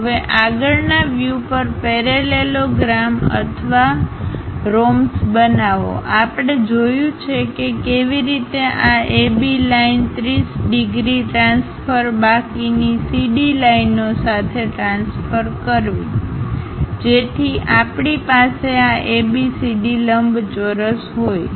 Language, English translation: Gujarati, Now, construct the parallelogram or the rhombus on the frontal view we have seen how to construct this AB line with a 30 degrees transfer remaining CD lines also so that we have this ABCD rectangle